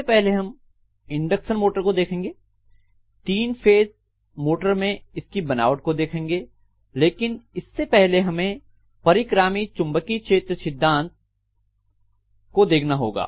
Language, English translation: Hindi, So we will be first looking at three phase induction motor in three phase induction motor we will be looking at construction but even before that we should look at revolving magnetic field theory